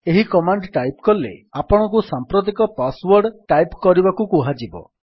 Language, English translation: Odia, When you type this command you would be asked to type the current password